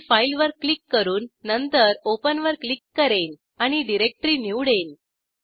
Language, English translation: Marathi, I will click on File, then click on Open and choose the directory